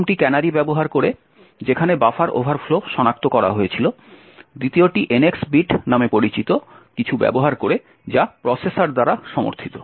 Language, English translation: Bengali, The first was using canaries where buffer overflows were detected, the second is using something known as the NX bit which is supported by the processors